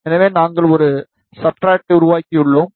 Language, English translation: Tamil, So, we have created a substrate